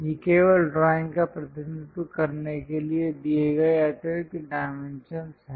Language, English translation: Hindi, These are the extra dimensions given just to represent the drawing